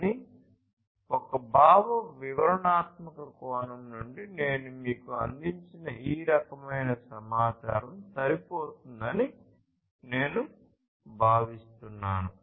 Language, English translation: Telugu, But, from an expository point of view I think this kind of information whatever I have provided to you is sufficient